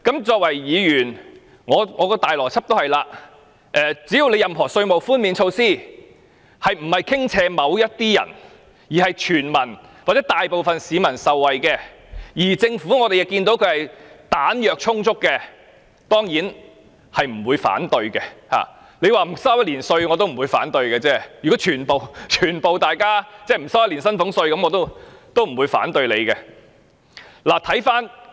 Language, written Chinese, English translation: Cantonese, 作為議員，我的邏輯是只要有任何稅務寬免措施是不傾斜於某部分人，是全民或大部分市民可受惠，而政府又彈藥充足的，我當然不會反對，即使免1年稅也不會反對，如果全民寬免1年薪俸稅，我也不反對。, As a Member my logic is that so long as a tax concessionary measure is not lopsided towards a certain group of people and can benefit all or a majority of the public while the Government has sufficient money in the coffers I surely will not oppose it . Even if the Government proposes to reduce the tax for one whole year or waive the salaries tax of all people for one whole year I will not oppose it